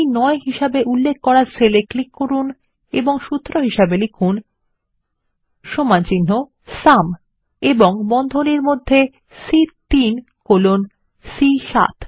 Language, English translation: Bengali, Click on the cell referenced as C9 and enter the formula is equal to SUM and within braces C3 colon C7